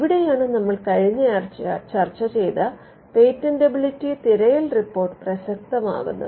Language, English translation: Malayalam, So, this is where getting a patentability search report something which we covered in last week’s lecture would become relevant